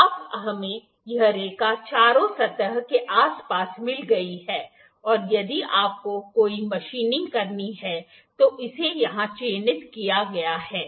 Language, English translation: Hindi, Now we have got this line around all the four surfaces and if you have to do any machining it is marked here